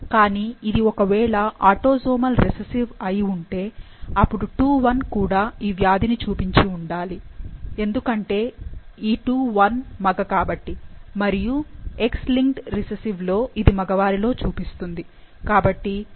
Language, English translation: Telugu, But, had it been a autosomal recessive, then II 1 should also be showing the disease, because this II 1 is male and for X linked recessive, it shows in the male